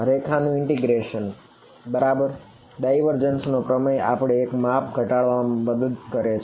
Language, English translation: Gujarati, Line integral right the divergence theorem helps us to reduce one dimension